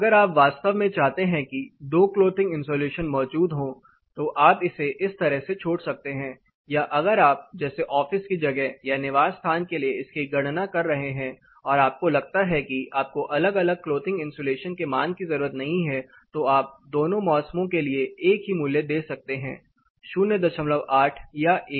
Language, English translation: Hindi, If you really want two clothing insulations to be present you can live it like this or say if it is like you are calculating it for a office place or in residence you feel I do not need two different clothing insulation value just put it say 0